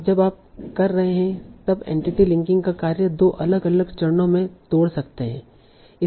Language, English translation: Hindi, And the task of entity linking when you are doing, you can break it into two different phases